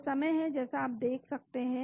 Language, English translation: Hindi, It is time as you can see